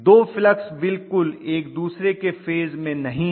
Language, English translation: Hindi, The two fluxes are not exactly in phase with each other not at all